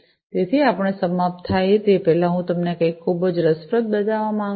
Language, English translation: Gujarati, So, before we end I wanted to show you something very interesting